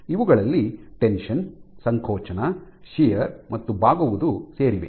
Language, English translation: Kannada, So, these include tension, compression, shear and bending